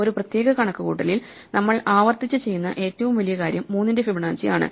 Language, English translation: Malayalam, In this particular computation, the largest thing that we repeat is Fibonacci of 3